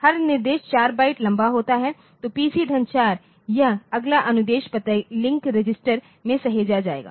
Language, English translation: Hindi, Every instruction is 4 byte long so, the plus so, it will be this next instruction address will be saved in the link register